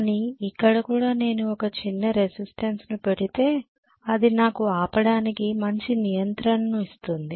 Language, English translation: Telugu, But here also if I put a small resistance it will give me a very good stopping control right